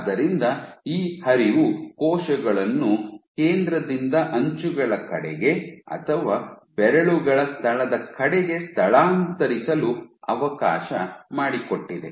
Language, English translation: Kannada, So, this flow allowed cells to migrate from the center towards the edges or towards the location of the fingers